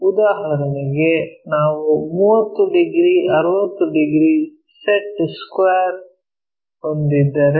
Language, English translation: Kannada, For example, if we are having a 30 degrees 60 degrees set square